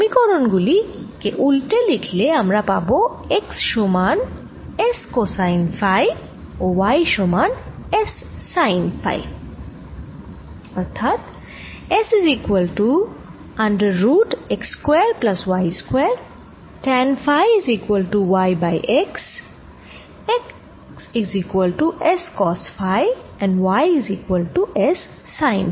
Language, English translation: Bengali, by inverting these equations i can also write x as equal to s, cosine of phi, and y is sine s, sine of phi